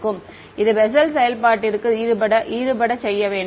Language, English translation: Tamil, It should be offset inside the Bessel function